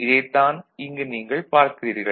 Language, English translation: Tamil, So, this is what you see over here